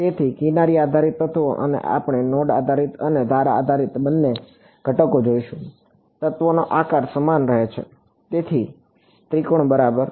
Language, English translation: Gujarati, So, edge based elements and we will we will look at both node based and edge based elements, the element shape remains the same so, triangle ok